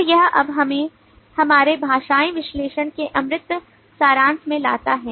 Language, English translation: Hindi, so this now brings us to the abstraction summary of our linguistic analysis